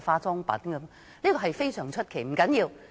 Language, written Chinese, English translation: Cantonese, 這一點非常出奇，但不要緊。, That is a little strange but it does not matter